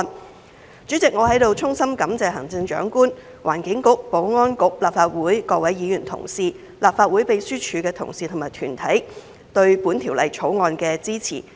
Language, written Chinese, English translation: Cantonese, 代理主席，我在此衷心感謝行政長官、環境局、保安局、立法會各位議員同事、立法會秘書處的同事和團體對本條例草案的支持。, Deputy President I would like to express my sincere gratitude to the Chief Executive the Environment Bureau the Security Bureau Members of the Legislative Council staff of the Legislative Council Secretariat and other organizations for their support of this Bill